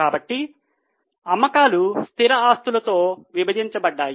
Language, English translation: Telugu, So, sales divided by fixed assets